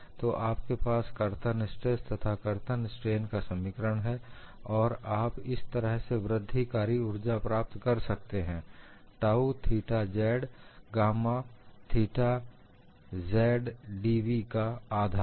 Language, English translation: Hindi, So, you have the expression for shear stress as well as the shear strain, and you get the incremental energy as this, one half of tau theta z gamma theta z d V